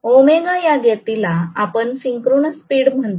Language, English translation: Marathi, We call this speed omega as the synchronous speed